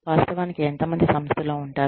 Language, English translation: Telugu, How many people actually, stay with the organization